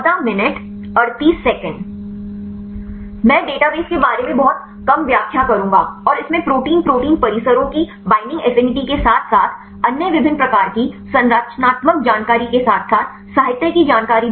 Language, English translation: Hindi, I will explain little bit about the database and this contains the binding affinity of protein protein complexes along with other different types of structural information as well as the literature information right